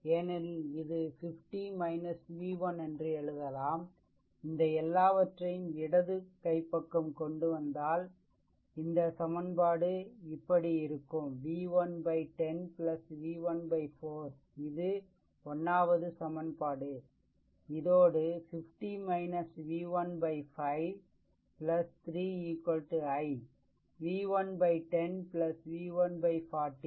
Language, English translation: Tamil, But you can write it because there it was writing 50 minus v 1, if you bring all this things to the left hand side like this, it will equation will be like this, right because ah your what you call there there are what I wrote this v 1 by 10 plus v 1 by 41st equation, what I wrote actually to add 50 minus ah v 1 by 5 plus 3 is equal to I wrote v 1 upon 10 plus v 1 upon 40, right